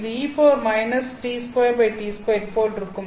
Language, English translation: Tamil, So, here it is that